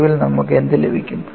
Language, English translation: Malayalam, So, finally, what you get